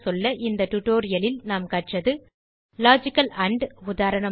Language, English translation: Tamil, In this tutorial we learnt about Logical AND eg